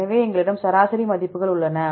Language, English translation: Tamil, So, we have the average values